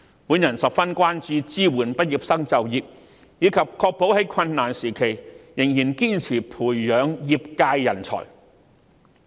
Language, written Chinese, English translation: Cantonese, 我十分關注支援畢業生就業，以及確保在困難時期仍然堅持培養業界人才。, I am deeply concerned about the employment support for graduates and ensuring that the industry will keep on nurturing talents in difficult times